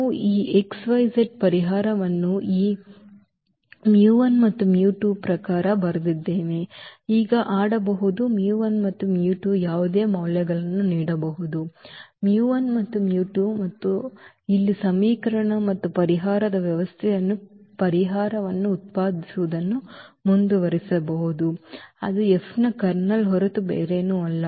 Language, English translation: Kannada, So, we have written this x, y, z the solution in terms of this mu 1 and mu 2 we can play now mu 1 mu 2 can give any values to mu 1 and mu 2 and we can keep on generating the solution here of this system of equation and the solution that is nothing but the Kernel of F